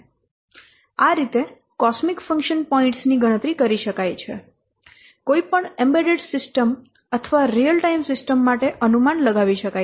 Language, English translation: Gujarati, So in this way the cosmic function points can be calculated in this way the cosmic function points can be computed, can be estimated for any embedded system or real time system